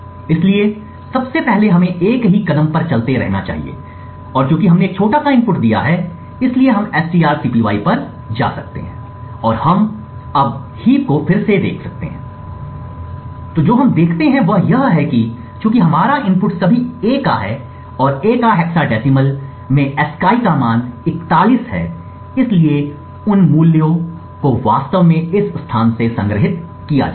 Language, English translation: Hindi, So first of all let us continue to a single step and since we have given a small input we can go through strcpy and we can now look at the heap again and what we see is that since our input is all is a couple of A's and A has ASCII value of 41 in hexadecimal, so those values are actually stored from this location onwards